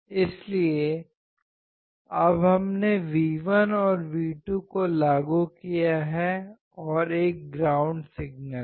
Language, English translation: Hindi, So, now we have applied V1 and V2 and there is a ground signal